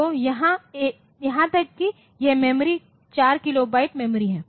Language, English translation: Hindi, So, even this memory is 4 kilobyte memory